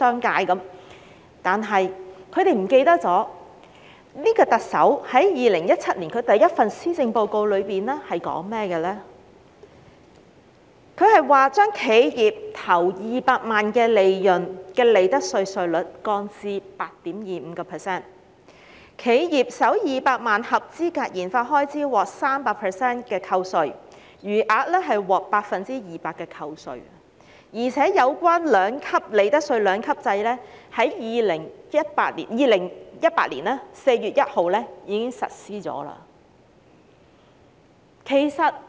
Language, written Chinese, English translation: Cantonese, 可是，他們忘了，現屆特首在2017年第一份施政報告中，建議將企業首200萬元利潤的利得稅稅率降至 8.25%， 企業首200萬元合資格研發開支獲 300% 的扣稅，餘額獲 200% 的扣稅，而且有關利得稅兩級制在2018年4月1日已開始實施。, They vowed that the implementation of so many proposals in one go is unbearable to the business sector . However they have forgotten that the incumbent Chief Executive proposed in her maiden Policy Address in 2017 to lower the profits tax rate for the first 2 million of profits of enterprises to 8.25 % and offer enterprises a 300 % tax deduction for their first 2 million eligible research and development expenditure and a 200 % reduction for the remainder . And this two - tier profits tax system has been implemented since 1 April 2018